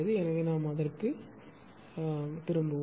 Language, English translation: Tamil, So, we will come back to that